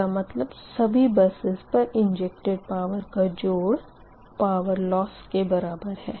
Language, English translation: Hindi, that means that some of injected power at all buses will give you the power loss